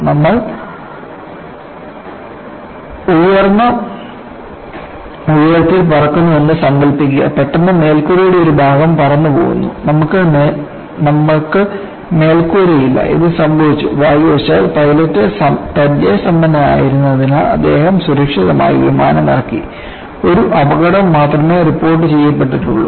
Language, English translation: Malayalam, Imagine that you are flying at a high altitude; suddenly a portion of the roof flies off; you are without a roof; this happened, and fortunately because the pilot was experienced, he landed the aircraft safely, and only one casualty was reported